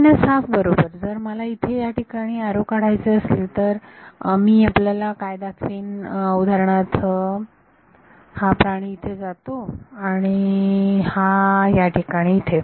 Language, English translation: Marathi, n minus half right if I were to draw arrows over here what should I show you for example, this guy goes in here and this guy goes in over here